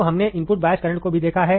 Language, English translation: Hindi, So, we have also seen the input bias current, right